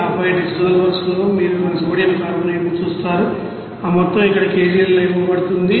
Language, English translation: Telugu, And then in this you know dissolver you see that sodium carbonate, the amount is given in kg here